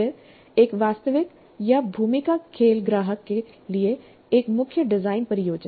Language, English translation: Hindi, Then a main design project for a real or a role play client